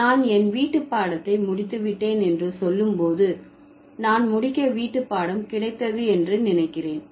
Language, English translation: Tamil, So, when I say I finished my homework, I assumed that I did get homework to finish